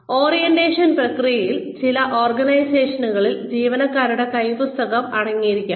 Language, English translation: Malayalam, The orientation process can consist of, in some organizations, an employee handbook